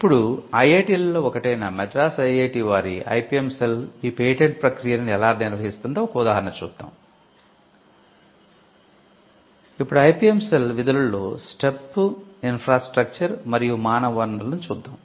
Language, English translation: Telugu, Now, let us look at an example of how one of the IITs from where I am from IIT, Madras looks at the patenting process through the through their IPM cell